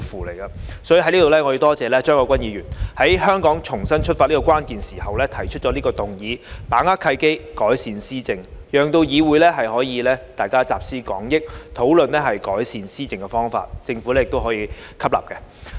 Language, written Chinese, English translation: Cantonese, 在此，我感謝張國鈞議員，在香港重新出發的關鍵時刻提出"把握契機，改善施政"這項議案，讓議會可以集思廣益，討論改善施政的方法，也讓政府亦可以吸納相關意見。, Here I wish to thank Mr CHEUNG Kwok - kwan for proposing this motion Seizing the opportunities to improve governance at this critical moment when Hong Kong is ready to start afresh . It allows this Council to draw on collective wisdom to deliberate on the ways to improve governance and it also enables the Government to take on board the views concerned